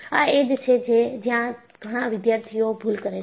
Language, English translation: Gujarati, See, this is where, many students make a mistake